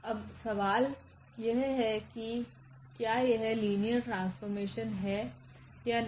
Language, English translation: Hindi, Now the question is whether this is linear map or it is not a linear map